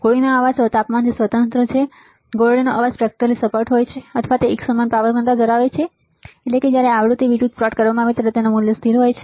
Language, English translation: Gujarati, Shot noise is independent of temperature shot noise is spectrally flat or has a uniform power density meaning that when plotted versus frequency it has a constant value